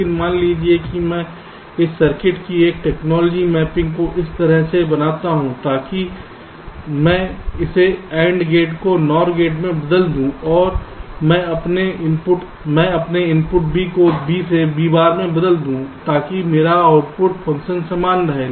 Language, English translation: Hindi, but suppose i make a technology mapping of this circuits like this, so that i modify this and gate into a nor gate, and i change my input b from b to b bar, such that my, my output function remains the same